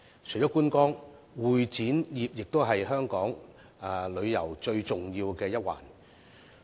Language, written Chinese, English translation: Cantonese, 除了觀光，會展業同樣是香港旅遊最重要的一環。, Apart from sightseeing convention and exhibition are also important aspects of Hong Kongs tourism